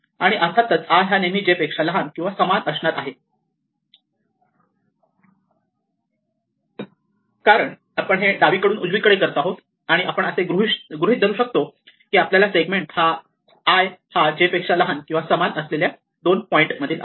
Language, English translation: Marathi, And of course, i is always going to be less than or equal to j, because we are doing it from left to right, so we can assume that the segment is given to us with two end points where i is less than or equal to j